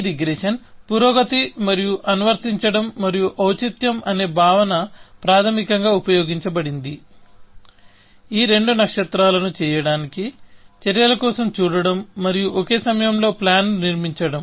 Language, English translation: Telugu, This regression progress and the notion of applicability and relevance was used basically, to do both these stars, that looking for actions and building the plan at the same time